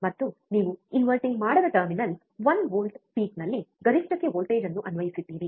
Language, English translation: Kannada, And you have applied voltage at the non inverting terminal one volt peak to peak